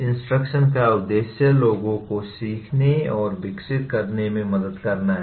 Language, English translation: Hindi, Purpose of instruction is to help people learn and develop